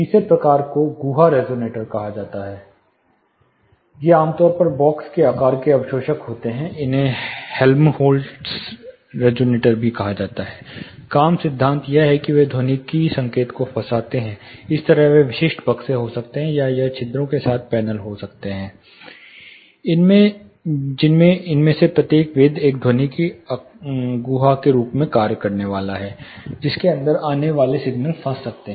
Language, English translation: Hindi, (Refer Slide Time: 13:58) The third type is called cavity resonators, these are typically box shaped absorbers, these are also called Helmholtz Resonators, working principle is they actually trap the acoustic signal, it can be specific boxes like this, or it can be panels with perforated, in which each of these perforations is going to act as an acoustic cavity, inside which the signals or the incoming signals can be trapped